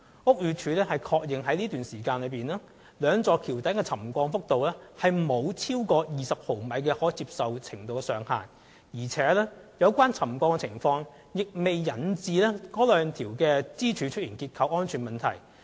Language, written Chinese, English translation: Cantonese, 屋宇署確認該段期間，兩座橋躉的沉降幅度沒有超過20毫米的可接受程度上限，而且，有關沉降情況亦未引致該兩條支柱出現結構安全問題。, As confirmed by BD during the said period the subsidence of the two viaduct piers did not exceed the maximum tolerable limit of 20 mm and also the subsidence had not caused any structural safety problem to the two pillars